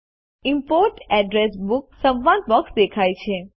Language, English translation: Gujarati, The Import Address Book dialog box appears